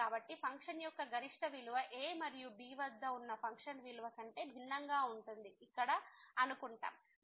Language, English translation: Telugu, So, here we assume that the function the maximum value of the function is different than the function value at and